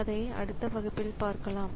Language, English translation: Tamil, So, we'll see that in the next class